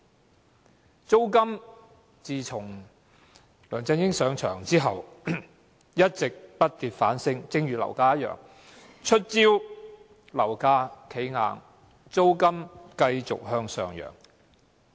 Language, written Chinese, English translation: Cantonese, 至於租金，自梁振英上任後一直不跌反升，就如樓價一樣。, For rent similar to property prices it has been increasing rather than decreasing since LEUNG Chun - ying assumed office